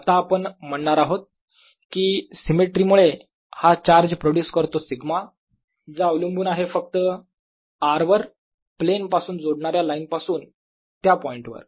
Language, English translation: Marathi, what we are going to say is that by symmetry, this charge produces a sigma which depends only on r from the line joining the plane